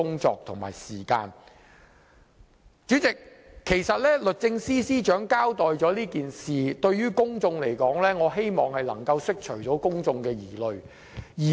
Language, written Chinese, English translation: Cantonese, 主席，律政司司長其實已就此事作出交代，我希望能夠釋除公眾疑慮。, President the Secretary for Justice has already given an account of the incident and I hope the publics concern has been allayed